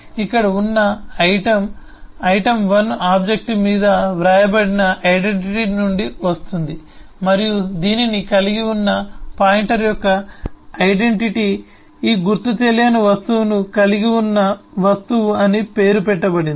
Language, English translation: Telugu, the identity here is coming from the identity that is written on the item1 object and the identity of the pointer which holds this are named object which holds this unidentified object